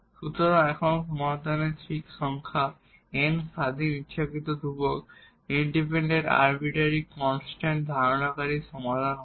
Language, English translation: Bengali, So, here that is exactly the definition of the general solution, the solution containing n independent arbitrary constant